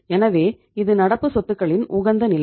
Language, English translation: Tamil, So this is the optimum level of current assets